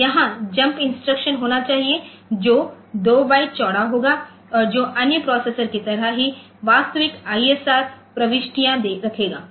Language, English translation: Hindi, So, there should be the jump instruction that will be 2 bite wide and that will hold the actual ISR entries just like other processors